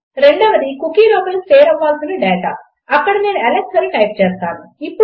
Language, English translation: Telugu, The second one is the data that needs to be stored inside this cookie and Ill type Alex here